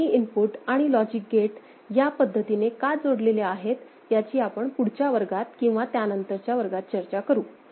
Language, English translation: Marathi, Again we shall discuss in next class or subsequent classes why these two inputs and an internal logic gate has been put in this manner